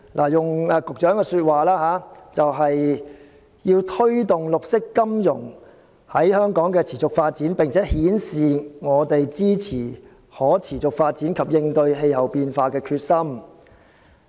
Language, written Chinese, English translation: Cantonese, 按局長的說法，目的是要推動綠色金融在香港的持續發展，並展示香港支持可持續發展及應對氣候變化的決心。, According to the Secretary the aim is to promote the sustained development of green finance in Hong Kong and to demonstrate Hong Kongs determination to support sustainable development and combat climate change